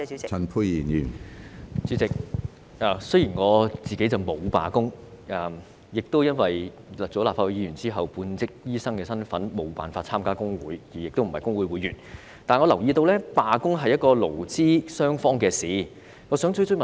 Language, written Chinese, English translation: Cantonese, 主席，雖然我沒有參與罷工，亦因為擔任立法會議員後，身份只屬半職醫生而無法加入工會，所以並非工會會員，但我留意到，罷工是勞資雙方的事情。, President I did not participate in the strike nor am I a member of the staff union because I cannot join the union as I am merely a half - time doctor after serving as a Member of the Legislative Council . Despite that I have noticed that a strike is an issue between the employer and its employees